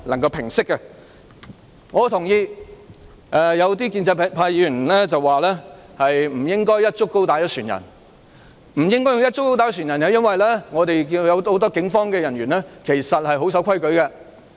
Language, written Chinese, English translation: Cantonese, 我認同一些建制派議員的說法，即不應"一竹篙打一船人"，因為我們看到很多警務人員其實也是守規矩的。, I agree to the view of some pro - establishment Members that we should not tar all the policemen with the same brush or hit everyone on a boat with a punt pole as a Cantonese proverb goes because we have seen that many policemen are actually law - abiding